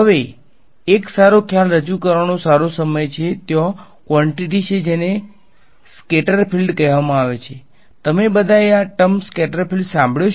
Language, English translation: Gujarati, Now, this is a good time to introduce one concept there is quantity called as the scatter field you all heard this word scattered field